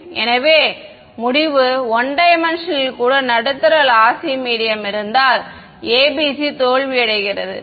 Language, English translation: Tamil, So, the conclusion is that even in 1D the ABC fail if the medium is lossy ok